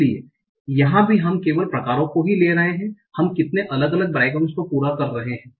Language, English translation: Hindi, So this will be simply, it will be proportional to the number of bygrams it is completing